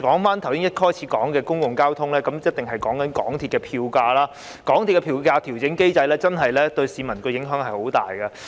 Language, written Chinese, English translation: Cantonese, 說回一開始提及的公共交通，便必定要談談香港鐵路有限公司的票價，港鐵公司的票價調整機制真的對市民影響甚大。, Coming back to public transport which was mentioned at the outset we cannot but talk about the fares of the MTR Corporation Limited MTRCL . The fare adjustment mechanism of MTRCL really has a significant impact on the public